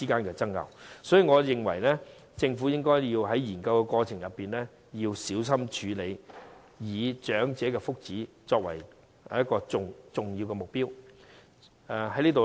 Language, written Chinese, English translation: Cantonese, 因此，我認為政府在研究的過程中要小心處理，以長者的福祉作為重要目標。, Hence I think the Government must handle the issue with care when it studies the arrangement setting the well - being of the elderly as the primary target